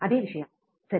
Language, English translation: Kannada, The same thing, right